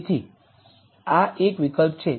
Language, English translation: Gujarati, So, this is one option